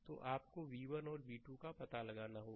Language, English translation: Hindi, So, so, you have to find out v 1 and v 2